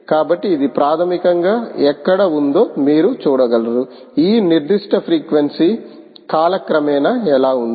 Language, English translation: Telugu, you can see that, ah, how this particular frequency where is over time